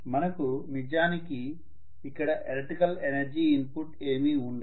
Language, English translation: Telugu, We are really not getting any electrical energy input